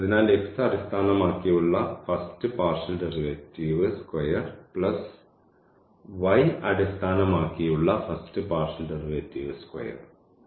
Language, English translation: Malayalam, So, the first partial derivative with respect to x whole square plus the partial derivative with respect to y of the given function whole square